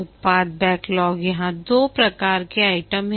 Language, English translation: Hindi, The product backlog, there are two types of items here